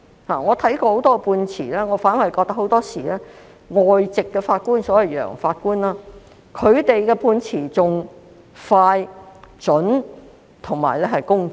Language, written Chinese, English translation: Cantonese, 我看過很多判詞，我認為很多時外籍法官的判詞反而更加快、準、公正。, I have read many judgments and more often than not I found the judgments made by overseas judges more efficient precise and impartial